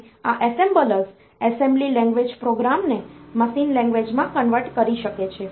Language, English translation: Gujarati, And these assemblers they can convert the assembly language program to machine language